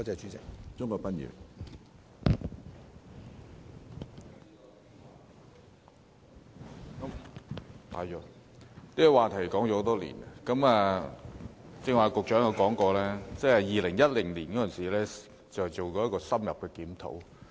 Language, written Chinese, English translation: Cantonese, 這個課題已討論多年，局長剛才提到，政府曾於2010年進行深入檢討。, This subject has been discussed for years . The Secretary just mentioned that the Government conducted an in - depth review on the matter in 2010